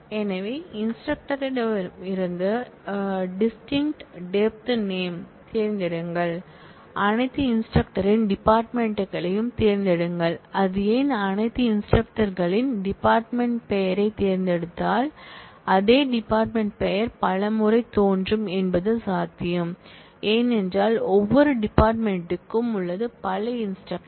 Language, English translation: Tamil, So, select distinct depth name from instructor will actually, select the departments of all instructors and quite why if it just selects department name of all instructor, then it is quite possible that the same department name will appear number of times, because every department has multiple instructors